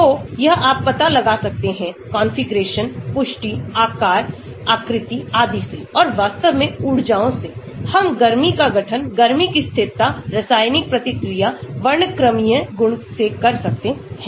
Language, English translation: Hindi, So, that you can find out from the configuration, confirmation, size, shape and so on actually and the energies; we can do heat of formation, conformational stability, chemical reactivity, spectral properties etc